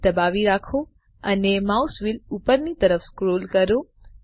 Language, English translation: Gujarati, Hold SHIFT and scroll the mouse wheel upwards